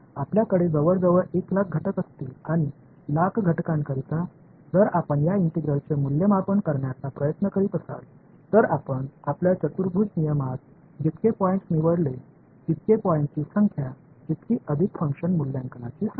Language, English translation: Marathi, You will have close to a lakh elements right and for a lakh elements if you are trying to evaluate this integral the number of points you choose in your quadrature rule the more the number of points the more the number of function evaluations